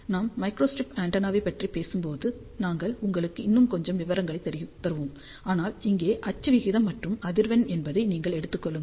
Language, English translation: Tamil, When I talk about microstrip antenna, we will give you little bit more details, but over here you can say that this is axial ratio versus frequency